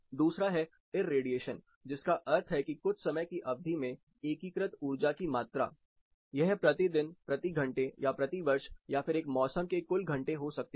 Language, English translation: Hindi, On Number two is irradiation which means the energy quantity integrated over a specific time, it can be per day, per hour or per year, total hour for a specific season